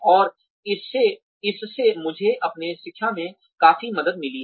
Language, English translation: Hindi, And, that has helped me considerably with my teaching